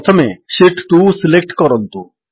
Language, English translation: Odia, First, let us select sheet 2